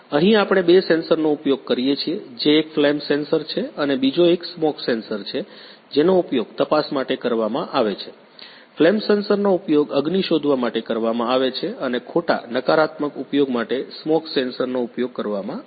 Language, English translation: Gujarati, Here we use two sensor which are one is flame sensor and another is a smoke sensor which are used for detecting, flame sensors are used for detecting the fire and smoke sensor for use for false negative